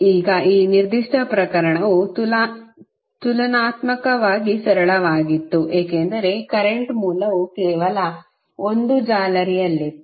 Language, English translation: Kannada, Now, that particular case was relatively simple because mesh the current source was in only one mesh